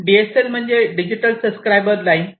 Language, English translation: Marathi, DSL stands for Digital Subscriber Line